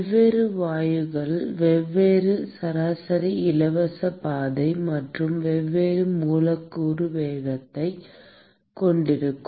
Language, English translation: Tamil, And different gases will have a different mean free path and the different molecular speed